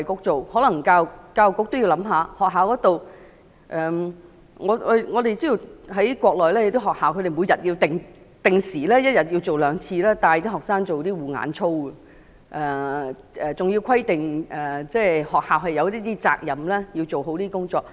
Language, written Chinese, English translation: Cantonese, 在學校方面，我們知道內地的學校每天也會定時兩次帶領學生做護眼操，還規定學校有責任要做好這些工作。, School - wise we know that schools on the Mainland will also lead students to do routine eye care exercises twice a day and schools are obliged to do well in this regard